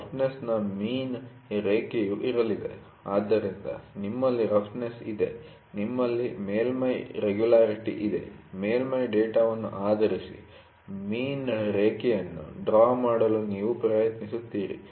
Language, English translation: Kannada, So, the mean line of roughness is going to be, so, you have a roughness, you have a surface regularity, you try to draw a mean line based upon the surface data